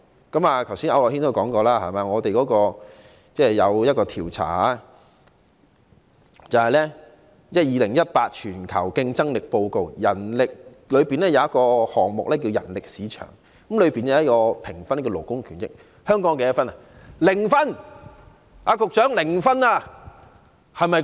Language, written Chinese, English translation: Cantonese, 剛才區諾軒議員也曾提及，在2018年度的全球競爭力報告的其中一個項目是人力市場，當中有一項關於勞工權益的評分，香港的得分為何？, As Mr AU Nok - hin has mentioned just now there is a score on workers basic rights under the item of Pillar 8 of The Global Competitiveness Report 2018 . What is the score of Hong Kong then?